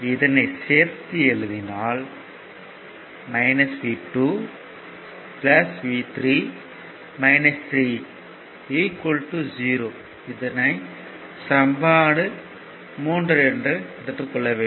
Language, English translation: Tamil, So, minus v plus v 1 plus v 2 is equal to 0